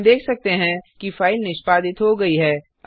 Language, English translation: Hindi, This shows that our file is successfully created